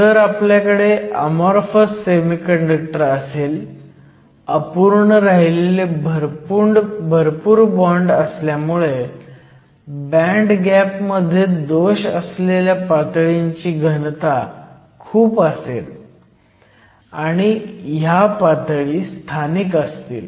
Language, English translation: Marathi, Now if we have an amorphous semiconductor, because you have a large density of dangling bonds, there will be a large density of defect states in the band gap, and these defect states are localized states